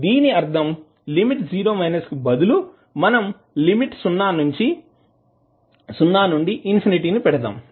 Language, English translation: Telugu, It means that instead of having limits 0 minus you can put limit from 0 to infinity